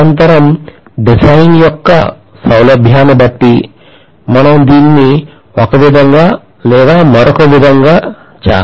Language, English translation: Telugu, Invariably, depending upon the convenience of the design, we do it one way or the other